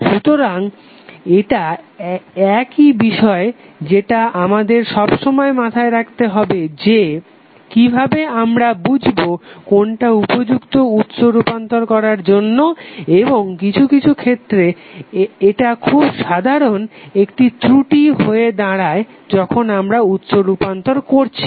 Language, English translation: Bengali, So, that something which we have to always keep in mind that how you choose the correct candidate for source transformation and sometimes this becomes a very common type of error when we do the source transformation